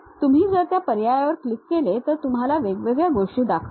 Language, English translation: Marathi, You click that option it shows you different things